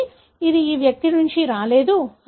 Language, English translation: Telugu, So, it could not have come from this individual